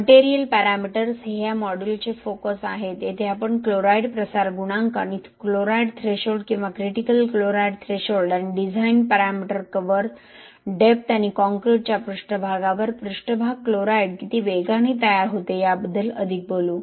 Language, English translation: Marathi, Material parameters are the focus of this module here where we will talk more about chloride diffusion coefficient and chloride threshold or critical chloride threshold and design parameters are cover depth and how fast you know the surface chloride build up happens on the concrete surface